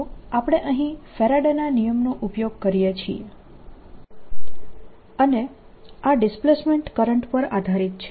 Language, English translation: Gujarati, so we use this source, faraday's law, and this was based on displacement current